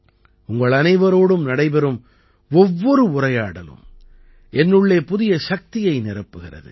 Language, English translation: Tamil, Every interaction with all of you fills me up with new energy